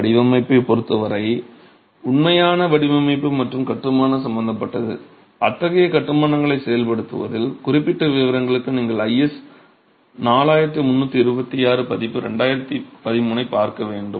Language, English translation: Tamil, As far as the design is concerned, actual design and construction is concerned, you will have to look at IS 4326 version 2013 for the specific details in executing such constructions